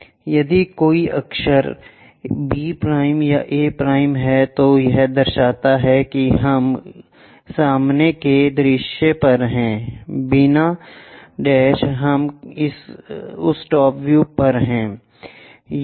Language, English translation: Hindi, If there is a letter a’ b’ or a’ it indicates that we are on the front view, without’ we are on that top view